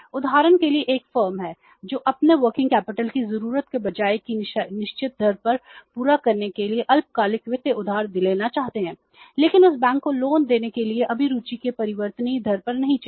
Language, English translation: Hindi, For example there is a firm who want to borrow the short term finance for meeting their working capital requirements on the fixed rate of interest but to that firm bank won't to give the loan but at the variable rate of interest